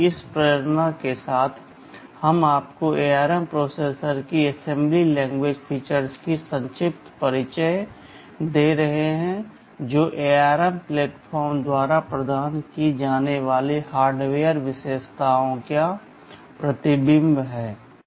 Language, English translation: Hindi, With this motivation we are giving you a brief introduction to the assembly language features of the ARM processor that is a reflection of the hardware features that are provided by the ARM platform